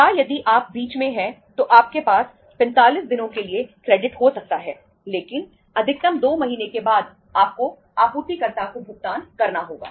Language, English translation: Hindi, Or if you are in between you can have the credit for 45 days but maximum after 2 months you have to make the payment to the supplier